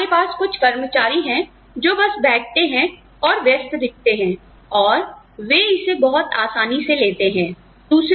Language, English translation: Hindi, So, we have people, who just sit there, they look busy and take it easy